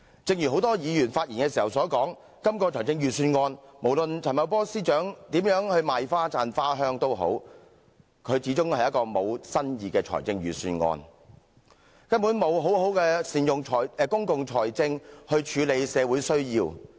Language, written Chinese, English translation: Cantonese, 正如很多議員發言時所說，就今項財政預算案，無論陳茂波司長如何"賣花讚花香"，這一份始終是一份沒有新意的預算案，根本沒有好好善用公共財政來處理社會需要。, Just like what many Members have said in their speeches the Budget this year lacks innovative ideas and has utterly failed to make proper use of public finances to address social needs despite Financial Secretary Paul CHANs self - assertive boasting